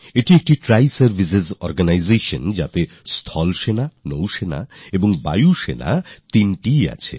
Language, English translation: Bengali, It is a Triservices organization comprising the Army, the Navy and the Air Force